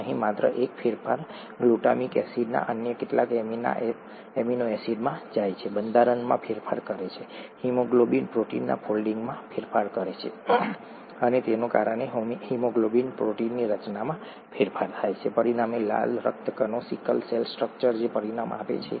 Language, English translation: Gujarati, Just one change here, glutamic acid going to some other amino acid, changes the structure, the folding of the haemoglobin protein and thereby changes the structure of the haemoglobin protein, as a result it, I mean, a sickle cell structure of the red blood cell results which is unable to carry oxygen through haemoglobin